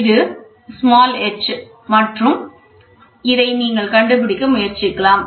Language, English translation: Tamil, This is the h and you try to find out